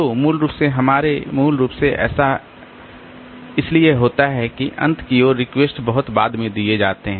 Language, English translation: Hindi, So, basically, so basically what happens is that towards the end the request are served much later